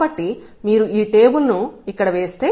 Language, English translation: Telugu, So, if you make this table here